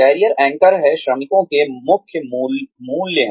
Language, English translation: Hindi, Career anchors are, core values of workers